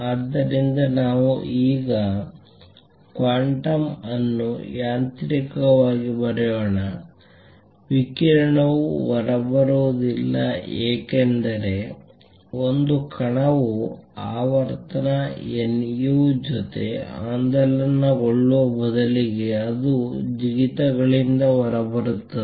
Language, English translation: Kannada, So, let us now write quantum mechanically; radiation does not come out because a particle is oscillating with frequency nu rather it comes out by jumps